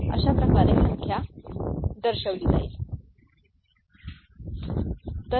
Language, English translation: Marathi, So, this is the way the number will be represented, ok